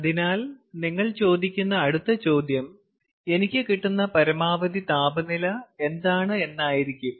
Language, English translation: Malayalam, so the next question that you will ask is: ok, what is my maximum temperature